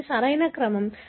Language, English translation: Telugu, This is the correct order